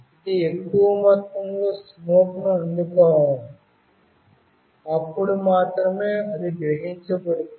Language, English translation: Telugu, It should receive a good amount of smoke, then only it will sense